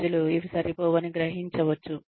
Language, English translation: Telugu, People may perceive, these to be inadequate